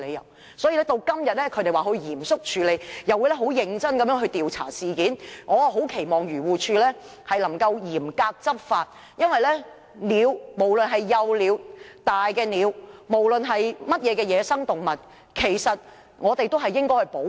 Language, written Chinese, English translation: Cantonese, 現時，漁護署表示會嚴肅處理並認真調查事件，我很期望它能夠嚴格執法，因為無論是幼鳥、大鳥或任何野生動物，我們都應該予以保護。, AFCD is now saying that it would handle and investigate the matter seriously . I very much hope that the department will enforce the law strictly because we must protect all wildlife including hatchlings and grown up birds